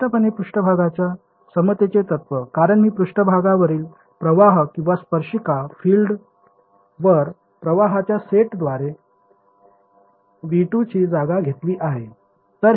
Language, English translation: Marathi, Clearly surface equivalence principle, because I have replaced V 2 by set of currents on the currents or the tangential fields on the surface